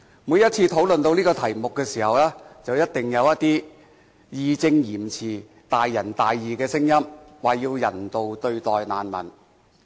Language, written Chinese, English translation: Cantonese, 每一次討論這個題目的時候，一定有一些義正詞嚴、大仁大義的聲音表示，要人道對待難民。, Every time when we discuss this topic there will surely be some righteous voices asking for humane treatment to refugees